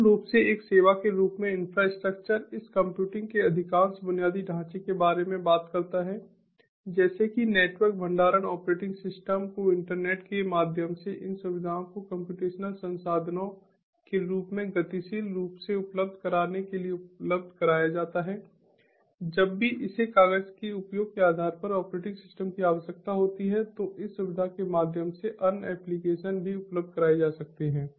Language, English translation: Hindi, infrastructure as a service basically talks about most of this computing infrastructure like network storage operating system to be made available as facilities through the internet, accessing these facilities as computational resources dynamically whenever it is required on a paper use basis operating systems